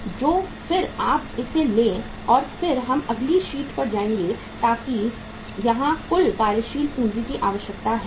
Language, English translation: Hindi, So if you take this and then we will move to next sheet so here the total working capital requirement